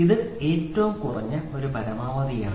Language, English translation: Malayalam, So, this is minimum and this is maximum